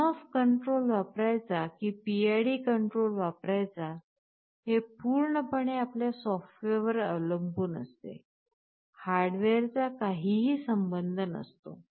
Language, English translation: Marathi, Because, you see whether you use ON OFF or PID control depends entirely on your software, and nothing to do with the hardware